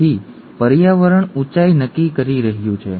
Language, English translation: Gujarati, So the environment is determining the height